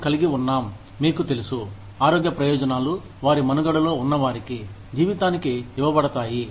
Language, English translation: Telugu, We have, you know, healthcare benefits are given to their surviving dependents, for life